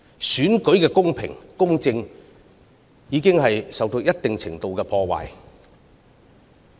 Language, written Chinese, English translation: Cantonese, 選舉的公平公正已受到一定程度的破壞。, The fairness and impartiality of the election has been compromised to a certain extent